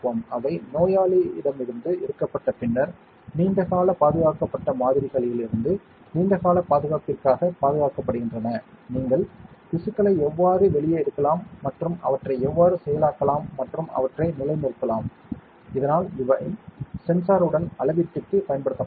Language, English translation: Tamil, After they have been taken from the patient hence preserved for a long term preservation from such samples from long term preserved samples, how can you take out tissues and how can you process them and condition them, so that they can be used for measurement with the sensor, so that will be next module